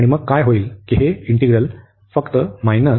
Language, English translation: Marathi, And then what will happen that this integral will be just minus b to infinity